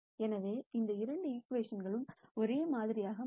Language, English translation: Tamil, So, both these equations turn out to be the same